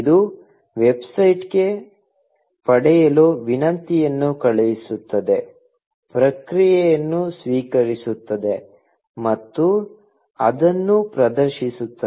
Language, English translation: Kannada, It sends a get request to the website, receives a response, and displays it